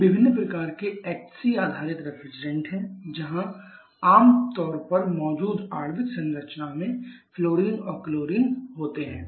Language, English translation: Hindi, These are different kinds of HCBS refrigerants where you generally have fluorine and chlorine in the molecular structure present